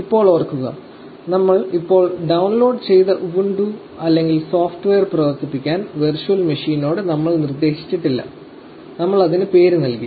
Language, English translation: Malayalam, Now, remember we have not instructed the virtual machine to run the ubuntu or software that we just downloaded, we have just given it the name